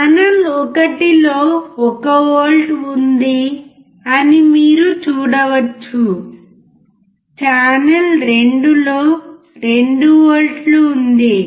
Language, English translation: Telugu, You can see channel one is 1 volt; channel 2 is 2 volts